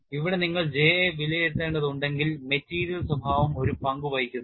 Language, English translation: Malayalam, But here we have to evaluate J material behavior also place a role